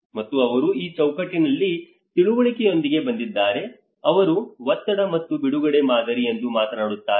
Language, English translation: Kannada, And they talk about they have come with the understanding of this framework is called a pressure and release model